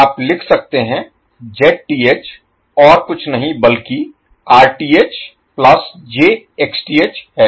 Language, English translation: Hindi, You can write Zth is nothing but that is Rth plus j Xth